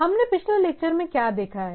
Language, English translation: Hindi, So, what we have seen in previous lectures